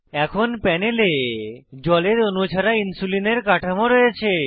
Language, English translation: Bengali, Now on panel we have Insulinstructure without any water molecules